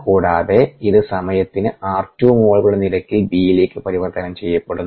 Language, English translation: Malayalam, and it gets converted to b at the r two, moles per time